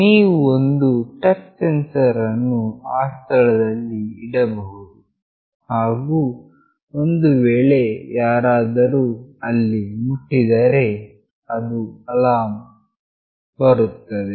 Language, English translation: Kannada, , You can put a touch sensor in those places and if somebody touches there, an alarm will go off